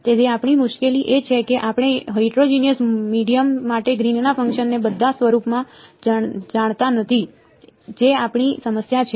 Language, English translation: Gujarati, So, our difficulty is we do not know in closed form Green’s function for a heterogeneous medium that is our problem